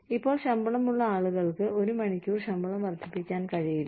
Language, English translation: Malayalam, Now, people, who have salaries, cannot be given, an hourly pay raise